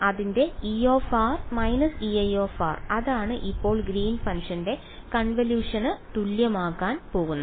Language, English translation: Malayalam, So, its E r minus E i right that is what is going to be equal to the convolution now of Green's function